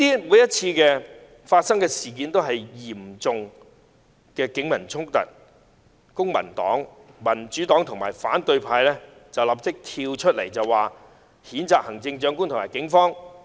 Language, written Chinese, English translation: Cantonese, 每次發生的事件也是嚴重的警民衝突，公民黨、民主黨及反對派便立即出來譴責行政長官和警方。, Whenever serious clashes between the Police and members of the public occur the Civic Party the Democratic Party and the opposition camp will immediately come out to condemn the Chief Executive and the Police